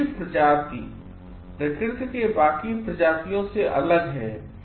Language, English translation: Hindi, Human beings are different from the rest of the nature